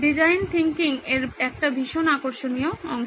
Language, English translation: Bengali, A very exciting portion of design thinking